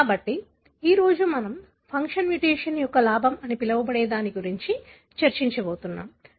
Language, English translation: Telugu, So, today we are going to discuss about what is known as a gain of function mutation